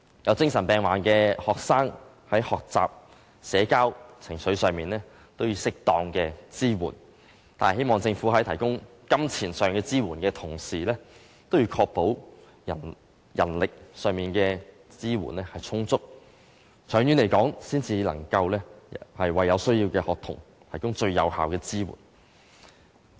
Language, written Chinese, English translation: Cantonese, 有精神病患的學生在學習、社交、情緒上都需要適當的支援，希望政府在提供金錢上的支援的同時，也要確保人力上的支援充足，這樣才能長期為有需要的學童提供最有效的支援。, I support the measure . Students with mental illness need appropriate support in learning socializing and handling of emotions . Apart from providing funding support I hope that the Government will also ensure that there will be sufficient manpower support which is necessary for providing the students in need with the most effective support on a long - term basis